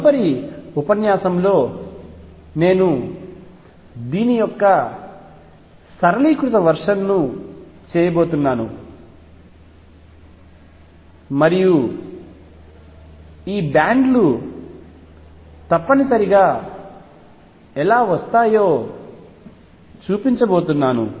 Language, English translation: Telugu, In the next lecture I am going to do a simplified version of this and show how these bands should necessarily arise